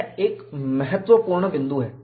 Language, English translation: Hindi, That is a key point